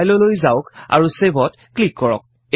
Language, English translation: Assamese, Go to File and click on Save